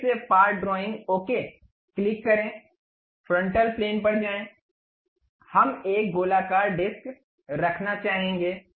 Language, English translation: Hindi, Again part drawing, click ok, go to frontal plane, we would like to have a circular disc